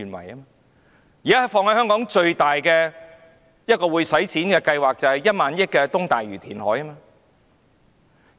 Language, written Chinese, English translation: Cantonese, 現在香港花費最大的計劃，就是1萬億元的東大嶼填海。, Currently the project costing Hong Kong the greatest amount of funds is the Lantau East reclamation project which costs 1,000 billion